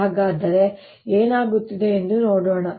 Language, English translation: Kannada, so let's see what is happening